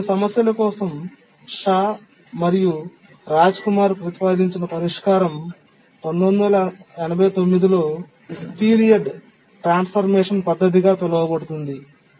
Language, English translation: Telugu, So a solution proposed proposed by Shah and Rajkumar known as the period transformation method, 1998